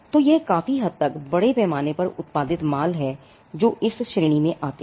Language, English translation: Hindi, So, this is largely mass produced, goods which come under this category